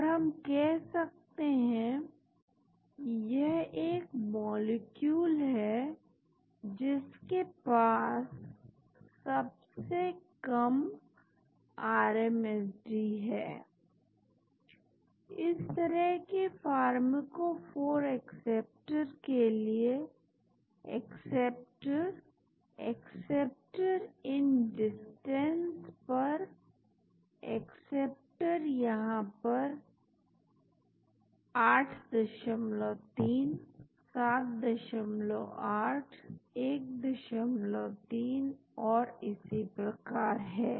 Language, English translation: Hindi, so, we can say, this is the molecule which has got the lowest RMSD with this type of pharmacophore acceptor, acceptor, acceptor at these distances actually, acceptor at this is 8